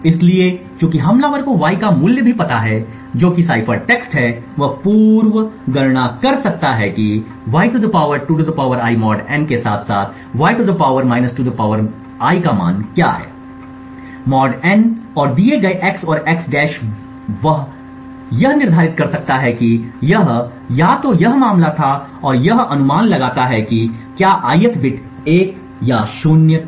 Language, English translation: Hindi, So, since the attacker also knows the value of y that is the cipher text he can pre compute what is the value of (y ^ (2 ^ I)) mod n as well as (y ^ ( 2 ^ I)) mod n and given x and x~ he can determine whether it was either this case or this case and this infer whether the ith bit was 1 or a 0